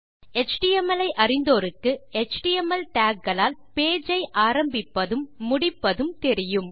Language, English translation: Tamil, Those of you that are familiar with html will know that there are html tags to start your page and to end your page